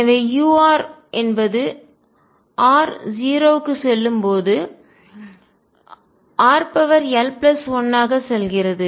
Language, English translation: Tamil, So, u r as r tends to 0 goes as r raise to l plus 1